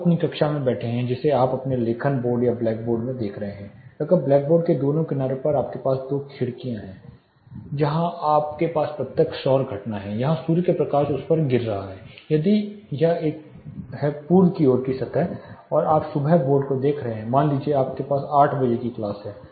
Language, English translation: Hindi, You are sitting in your classroom you are looking at your writing board say black board, if you have this sides both sides of the black board if you have two windows where you have direct solar incidence, where you have light from the sun falling on say if it is a east facing surface you are looking at the board in the morning hour say 8 a clock you have a class